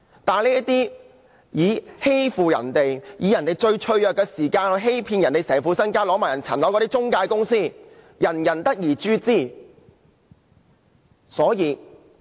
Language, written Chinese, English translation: Cantonese, 這些中介公司欺騙別人，利用別人最脆弱之時，騙取其全部身家，更連其物業也騙走，人人得而誅之。, These intermediaries deceive people exploiting their weakest moment to defraud them of all their savings and even their properties . They warrant the severest punishment possible